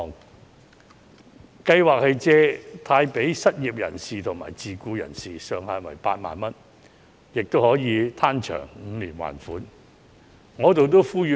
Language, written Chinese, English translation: Cantonese, 特惠貸款計劃借貸予失業人士和自僱人士，上限為8萬元，最長還款期長達5年。, This Scheme provides to the unemployed and self - employed loans up to a maximum of 80,000 subject to a maximum repayment period of up to five years